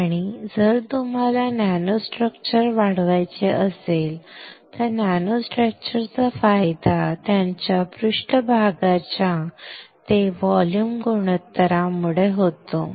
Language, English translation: Marathi, And if you want to grow nano structure, nano structure advantage because of their higher surface to volume ratio